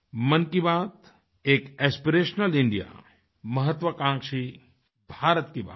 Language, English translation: Hindi, Mann Ki Baat addresses an aspirational India, an ambitious India